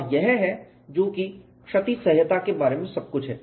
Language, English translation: Hindi, That is what damage tolerance approach encompasses